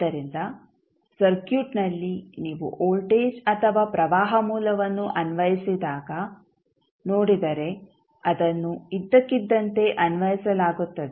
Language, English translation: Kannada, So, in the circuit if you see, when you apply the voltage or current source it is applied suddenly